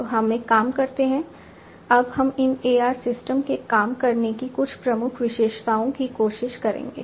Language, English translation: Hindi, So, let us do one thing, we will now try to some of the key features of how these AR systems work